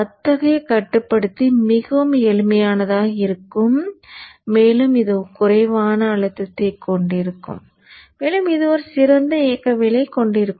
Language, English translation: Tamil, Then such a controller will be much simpler and it will also have less strain and it will also have better dynamics